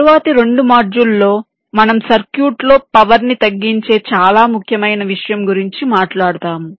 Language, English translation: Telugu, then in the next two modules we shall be talking about the very important issue of reduction of power in circuits